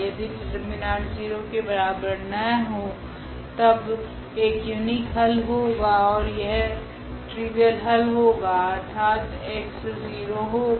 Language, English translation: Hindi, If the determinant is not equal to 0 then there will be a unique solution and that will be the trivial solution meaning this x will be 0